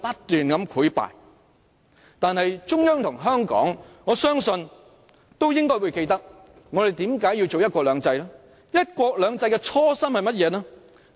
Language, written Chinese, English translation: Cantonese, 但我相信中央和香港都應會記得為何我們要實行"一國兩制"，"一國兩制"的初衷是甚麼呢？, However I trust that both the Central Government and Hong Kong still remember the reasons for implementing the one country two systems . What is the original intent of the one country two systems then?